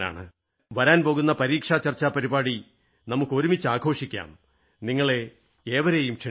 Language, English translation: Malayalam, We will all celebrate the upcoming program on Examination Discussion together I cordially invite you all